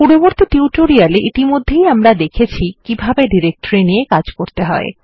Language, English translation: Bengali, In a previous tutorial we have already seen how to work with directories